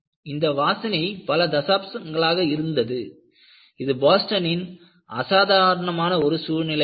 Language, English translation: Tamil, The smell remained for decades, a distinctive atmosphere of Boston